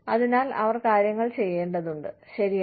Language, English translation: Malayalam, So, they need to do things, right